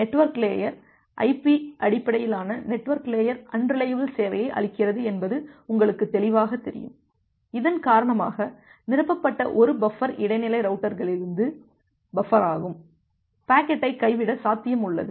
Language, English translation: Tamil, By the time I hope it is clear to you that the network layer, the IP based network layer that we are considering it is providing unreliable service because of this a buffer filled up are buffer over flow from intermediate routers, there is a possibility of packet drop